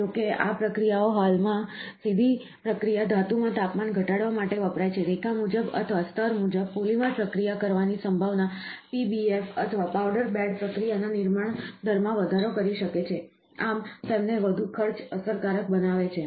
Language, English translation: Gujarati, All though these processes currently used to low of temperature to a process metal directly, the potential for polymer processing in a line wise or a layer wise manner could increase the build rate of PBF, or, powder bed process, thus making them more cost effective